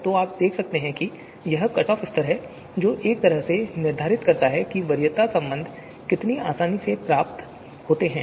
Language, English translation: Hindi, So you can see it is the you know cut off level that can in a way determines how you know easily the preference relations are you know derived